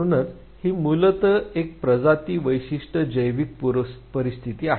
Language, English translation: Marathi, Therefore, it is basically a species specific biological predisposition